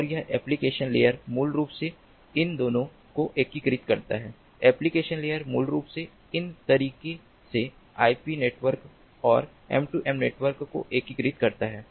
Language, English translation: Hindi, application layer basically seamlessly integrates the ip network and the m two m network in this manner